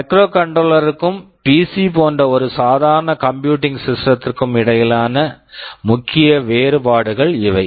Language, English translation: Tamil, These are broadly the main differences between a microcontroller and a normal computing system like the PC